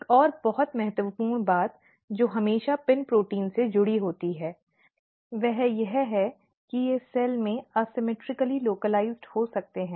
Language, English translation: Hindi, Another very important thing which is always associated with the PIN proteins are that they can be asymmetrically localized in the cell